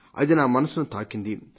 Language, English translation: Telugu, It touched my heart